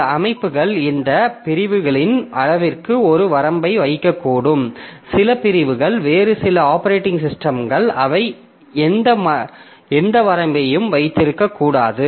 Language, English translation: Tamil, So, some system may put a limit on the size of these segments, whereas some segments or some other operating systems they may not put any limit